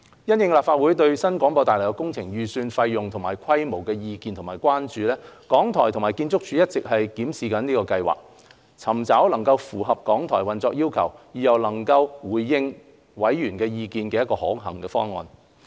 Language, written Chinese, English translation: Cantonese, 因應立法會對新廣播大樓工程預算費用及規模的意見和關注，港台和建築署一直檢視計劃，尋找能符合港台運作要求，而又能回應委員意見的可行方案。, RTHK and the Architectural Services Department have been examining the proposal having regard to the views and concerns of the Legislative Council over the cost estimate and scope of the New BH project with a view to working out a proposal that meets RTHKs operational requirements and can address Members views